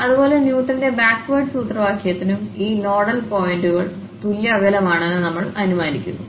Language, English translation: Malayalam, Similarly, for the Newton's backward formula as well we have assumed that these nodal points are equidistant